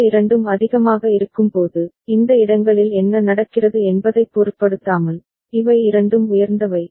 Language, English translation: Tamil, And when these two are high, these two are high, irrespective of what is happening at these places right